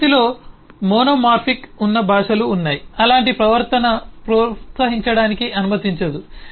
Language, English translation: Telugu, there are eh languages which are monomorphic in nature, which eh does not allow such behavior to be eh encouraged